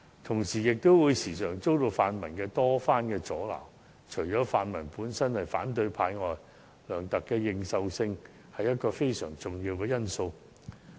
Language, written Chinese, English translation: Cantonese, 同時，他亦時常遭到泛民主派多番阻撓，除了因為他們本身是反對派之外，梁特首的認受性亦是一個非常重要的因素。, On top of this the pan - democratic camp has never ceased hindering his efforts not only because they belong to the opposition camp themselves but Chief Executive C Y LEUNGs recognition by the people is also a major factor